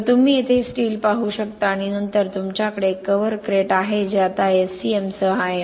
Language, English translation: Marathi, So you can see here steel and then you have a cover Crete which is now with SCM